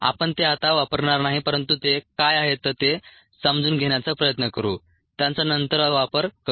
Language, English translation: Marathi, we will not use them now but we will try to understand what they are